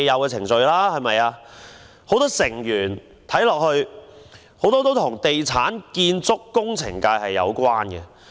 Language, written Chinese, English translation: Cantonese, 該委員會許多成員與地產、建築及工程界有關。, Many members of the Advisory Committee have connections with the property construction and engineering sectors